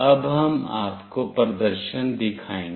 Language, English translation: Hindi, Now, we will be showing you the demonstration